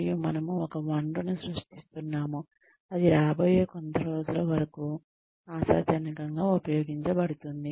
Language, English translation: Telugu, And, we are creating a resource, that will be, hopefully be used for, some time to come